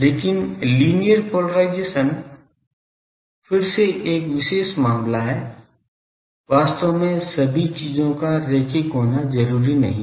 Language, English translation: Hindi, But linear polarisation again is a special case actually all things need not be linear